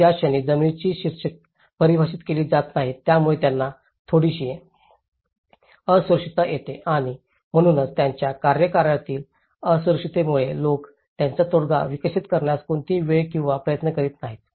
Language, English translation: Marathi, So, the moment land titles are not defined that gives a little insecurity for them and that is where their insecurity of tenure, people spend no time or effort in developing their settlement